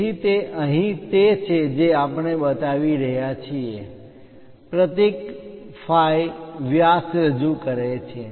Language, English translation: Gujarati, So, that is the thing what we are showing here, the symbol phi represents diameter